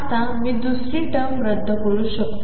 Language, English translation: Marathi, Now, I can cancel the second term